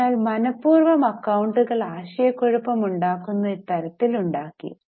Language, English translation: Malayalam, So, deliberately the accounts were made in a confusing manner